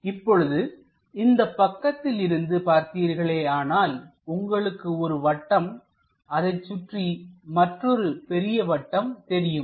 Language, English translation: Tamil, If we are looking from this view, it looks like a circle followed by another big circle